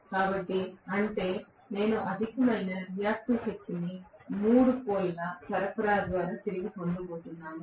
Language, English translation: Telugu, So, which means I am going to have excess reactive power returned to the three phase supply